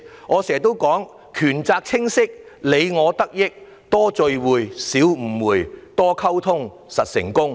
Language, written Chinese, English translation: Cantonese, 我經常也說："權責清晰，你我得益；多聚會，少誤會；多溝通，實成功"。, I always say well defined rights and duties benefit all more meetings less miscommunications more communications better success